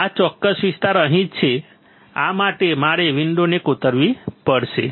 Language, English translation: Gujarati, This particular area is right over here right after this, I have to etch the window